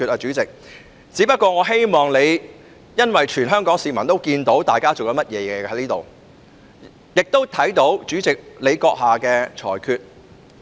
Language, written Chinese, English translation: Cantonese, 主席，我只不過是希望你......因為全港市民均看到大家正在這裏做甚麼，亦看到主席閣下的裁決。, President I only hope that you because the general public in Hong Kong can see what all Honourable colleagues are doing here as well as your ruling